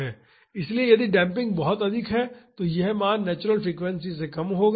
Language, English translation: Hindi, So, if the damping is high, this value will be lower than the natural frequency